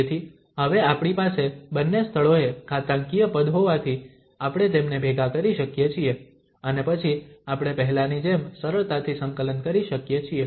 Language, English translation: Gujarati, So, now since we have the exponential at both the places, we can merge them and then we can integrate easily as done previously